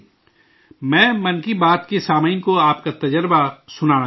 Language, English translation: Urdu, I would like to share your experience with the listeners of 'Mann Ki Baat'